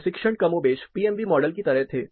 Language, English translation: Hindi, The tests were, more or less like in the PMV model